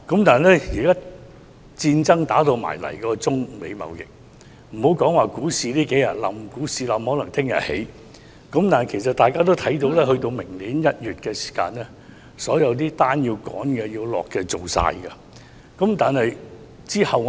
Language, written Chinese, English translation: Cantonese, "但現時發生了中美貿易戰——別說最近數天股市下跌，因為可能明天又會上升——到了明年1月的時候，所有急趕的訂單均已經完成，那之後如何呢？, But now a trade war has broken out between China and the United States―let us set aside the fall in the stock market over the last few days because it may rise again tomorrow―by January next year all the urgent orders will have been completed . Then what will happen?